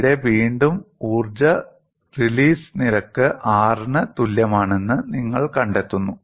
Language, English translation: Malayalam, There again, you find energy release rate equal to R